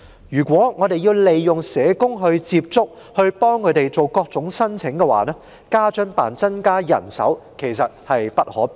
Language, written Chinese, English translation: Cantonese, 如果要透過社工接觸、幫助他們作出各種申請，家津辦增加人手實在無可避免。, If social workers are engaged to contact and help them make various kinds of applications an increase in manpower for WFAO is indeed inevitable